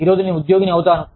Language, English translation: Telugu, Today, i will just be an employee